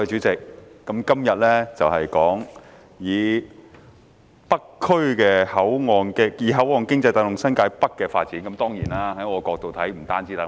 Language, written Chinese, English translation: Cantonese, 代理主席，本會今天討論"以口岸經濟帶動新界北發展"的議案。, Deputy President this Council discusses the motion on Driving the development of New Territories North with port economy today